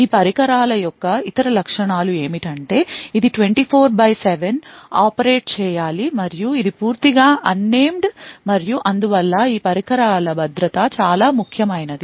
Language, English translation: Telugu, Other features of these devices is that it has to operate 24 by 7 and it is completely unmanned and therefore the security of these devices are extremely important